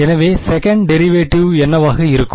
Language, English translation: Tamil, So, what will be the second derivative